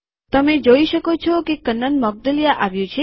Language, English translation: Gujarati, You can see that Kannan Moudgalya has come